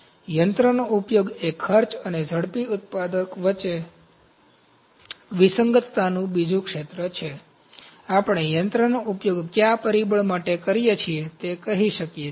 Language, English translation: Gujarati, So, machine utilization is another area of discrepancy between cost and rapid manufacturer, we can say machine utilization to what factor are we utilizing the machines